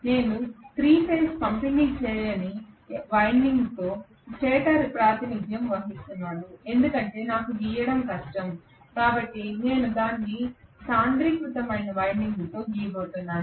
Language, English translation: Telugu, Let us say I am representing the stator with 3 phase not distributed winding because it is difficult for me to draw, so I am going to just draw it with concentrated winding